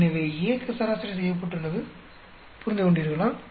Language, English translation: Tamil, So, A is averaged out understood